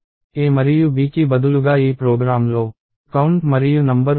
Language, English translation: Telugu, So, instead of a and b this program has count and number